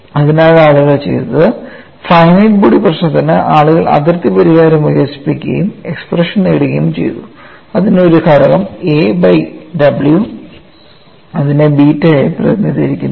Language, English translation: Malayalam, So, what people have done is, for finite body problem, people develop boundary collocation solution and obtained expression, it had a factor a by w a function in terms of a by w, which is represented as beta